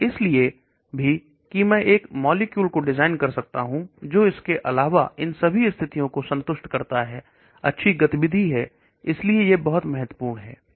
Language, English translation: Hindi, And also so that I can design a molecule which satisfies all these condition in addition to good activity, so that is very, very important